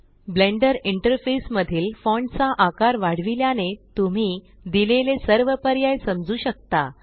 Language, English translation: Marathi, The font size in the Blender interface has been increased so that you can understand all the options given